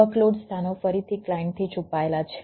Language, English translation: Gujarati, workload location are hidden from the client